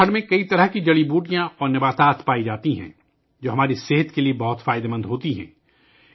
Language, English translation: Urdu, Many types of medicines and plants are found in Uttarakhand, which are very beneficial for our health